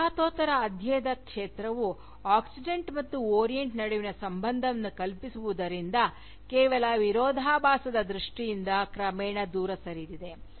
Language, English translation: Kannada, The field of Postcolonial study, has gradually moved away, from conceiving the relationship between the Oxidant and the Orient, merely in terms of Antagonism